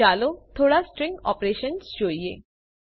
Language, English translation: Gujarati, Let us look at a few string operations